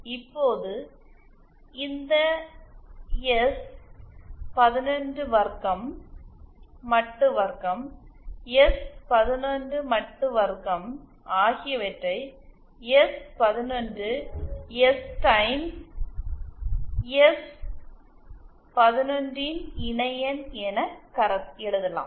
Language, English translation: Tamil, Now this S 11 square, modular square, S 11 modular square can also be written as S11 S Times S11 conjugate of S